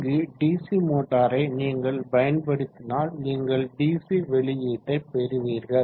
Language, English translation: Tamil, So here if you are using a DC motor and you will get a DC output